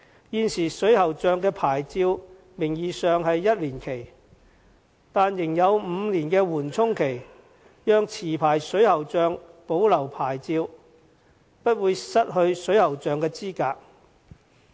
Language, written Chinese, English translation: Cantonese, 現時，水喉匠的牌照名義上是1年期，但仍有5年緩衝期，讓持牌水喉匠保留牌照，不會失去水喉匠的資格。, Under the existing licensing rules a plumbers licence is valid for one year but the plumber will have as long as five years grace during which the licence will not be revoked and the plumber will not be disqualified